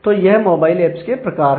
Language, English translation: Hindi, So, these are the typical kinds of mobile apps that